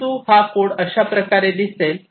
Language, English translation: Marathi, But this is how this code is going to look like